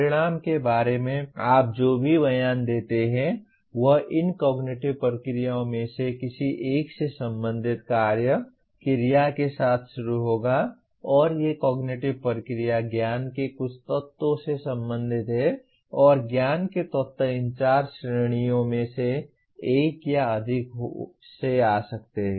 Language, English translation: Hindi, Any statement that you make about outcome will start with some action verb belonging to one of these cognitive processes and these cognitive process deals with some elements of knowledge and elements of knowledge may come from one or more of these four categories